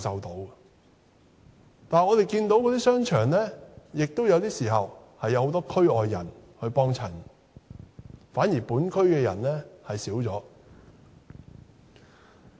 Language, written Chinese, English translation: Cantonese, 可是，我們看到那些商場有時候也有很多區外人光顧，反而本區的人卻減少了。, However we can see that sometimes many customers from other areas will visit these shopping arcades whereas the number of local customers is on the decrease